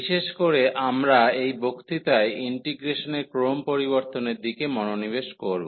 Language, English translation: Bengali, And in particular we will be focusing on the change of order of integration in this lecture